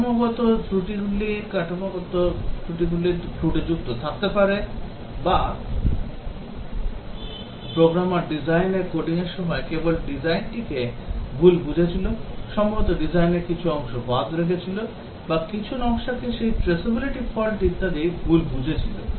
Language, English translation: Bengali, The structural faults will might have traceability fault that is while the programmer was coding the design just misunderstood the design, maybe left out some part of the design or misunderstood some design those the Traceability faults and so on